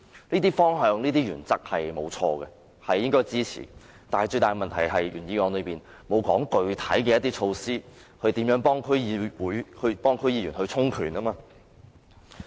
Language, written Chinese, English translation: Cantonese, 這些方向和原則是正確的，應予以支持，但最大的問題是，原議案並沒有提出具體措施協助區議員充權。, The direction and principle are correct and worth of support . Yet the biggest issue is that the original motion does not propose specific measures to help the empowerment of DC members